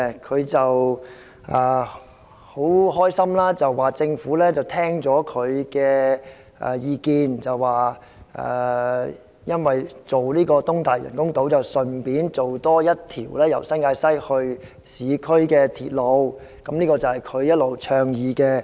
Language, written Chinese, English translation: Cantonese, 他很開心地說政府聽取了他的意見，興建東大嶼人工島時，會一併興建多一條由新界西直達市區的鐵路，這是他一直倡議的。, He said he was happy as the Government had heeded his view and proposed to build a new railway line connecting the New Territories West and the city in the course of building an artificial island in Lantau East which is something he has been advocating all along